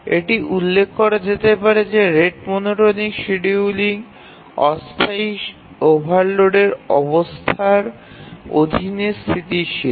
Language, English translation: Bengali, The rate monotonic algorithm is stable under transient overload conditions